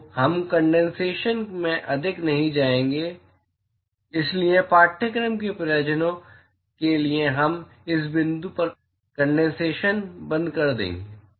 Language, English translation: Hindi, So, we will not go more into condensation; so, for the course purposes we will stop condensation at this point